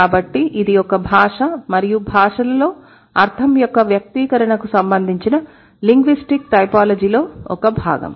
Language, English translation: Telugu, So, it is a part of the linguistic typology that is concerned with the expression of meaning in language and languages